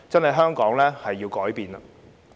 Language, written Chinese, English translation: Cantonese, 香港真的要改變。, Hong Kong really needs to change